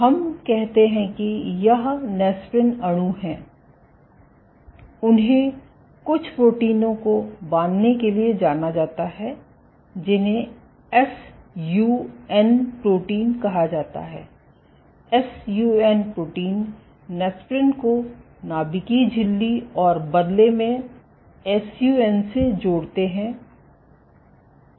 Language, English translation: Hindi, So, let us say this is a if you have these nesprin molecules, they are known to bind to some proteins called SUN proteins, you have SUN proteins which link the nesprins to the nuclear membrane and the sun in turn